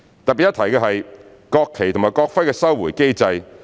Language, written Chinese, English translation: Cantonese, 特別一提的是國旗及國徽的收回機制。, The mechanism on the recovery of the national flags and the national emblems is worth mentioning